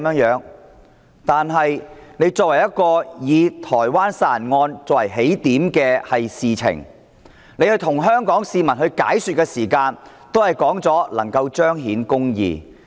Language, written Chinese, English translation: Cantonese, 以台灣殺人案作為起點提出修例，而局長跟香港市民解說的時候也表示，這樣做能夠彰顯公義。, The Government used the homicide case in Taiwan as the starting point for proposing amendments to the laws and when the Secretary explained the proposal to the public he also said that justice could be manifested by amending the laws